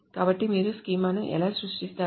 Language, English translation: Telugu, So how do you create creating a schema